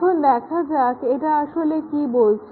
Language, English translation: Bengali, Let see what it really means